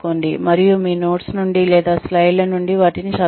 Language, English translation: Telugu, And, do not read things from them from your notes or, from your slides